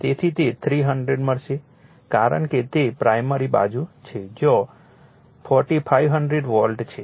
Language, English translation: Gujarati, So, you will get it is 300 because it is primary side where 4500 volt